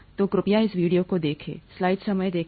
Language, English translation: Hindi, So please take a look at this video